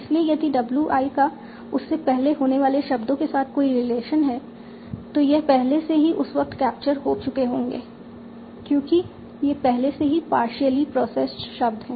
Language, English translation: Hindi, I has any relation with the words that occur before WI, it would already have been captured at this point because these are already partially processed words